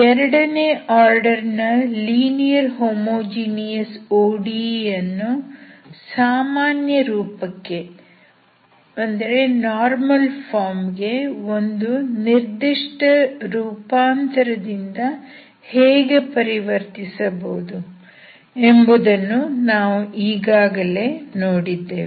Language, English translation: Kannada, So now we have seen, how to convert second order linear ODE homogeneous ODE into normal form, standard form a normal form means first order derivative will not be there